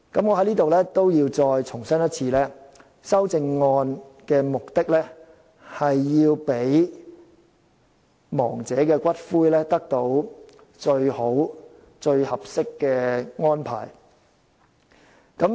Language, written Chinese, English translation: Cantonese, 我在此要再次重申，修正案的目的是要讓亡者的骨灰獲得最好、最合適的安排。, Here I have to reiterate once again that the purpose of the amendments is to make the best and the most suitable arrangement for the ashes of the deceased